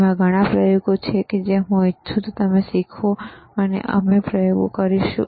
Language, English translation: Gujarati, tThere are several experiments that I want you to learn, and we will perform the experiments